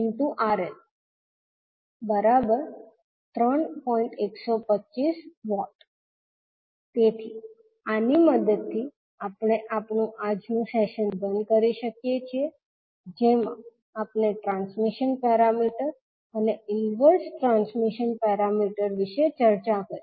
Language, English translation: Gujarati, So, with this we can close our today’s session in which we can discussed about the transmission parameter and inverse transmission parameter